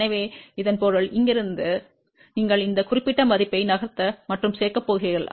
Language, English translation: Tamil, So that means, from here to here, you are going to moveand add this particular value